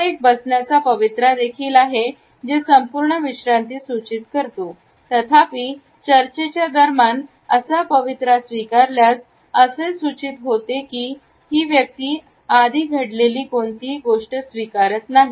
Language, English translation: Marathi, It is also a posture which suggest a total relaxation; however, during discussions if this posture has been taken up, it suggests that the person is not accepting something which is happened earlier